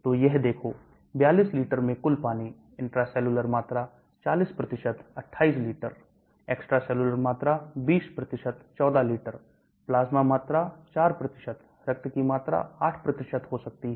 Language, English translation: Hindi, So look at this, total water in the 42 liters, intracellular volume could be 40% 28 liters, extracellular volume 20% 14 liters, plasma volume 4%, blood volume 8%